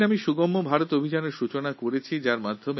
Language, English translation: Bengali, That day we started the 'Sugamya Bharat' campaign